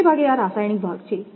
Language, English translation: Gujarati, This is mostly that chemistry portion